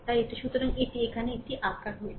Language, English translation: Bengali, So, this is what this is what we have drawn it here